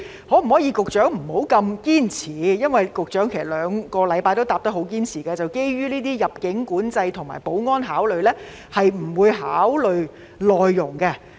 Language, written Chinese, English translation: Cantonese, 局長可否不要這麼堅持，因為局長在這兩星期的答覆都堅持表示，基於入境管制及保安考慮，不會考慮輸入內傭。, Can the Secretary be less insistent? . In a reply two weeks ago the Secretary insisted on his refusal to consider admitting MDHs due to immigration and security considerations